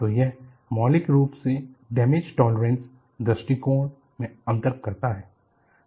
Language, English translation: Hindi, So, this fundamentally, makes a difference in damage tolerant approach